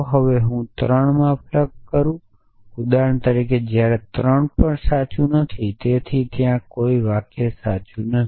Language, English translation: Gujarati, Now, if i plug in 3 for example, when even 3 is not true so there for the sentence not true